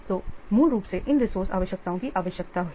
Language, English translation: Hindi, So, basically, these resources requirements are needed